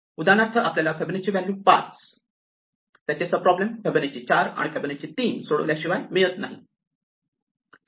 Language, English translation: Marathi, As Fibonacci of 5, leaves us with two problems to compute, Fibonacci of 4 and Fibonacci of 3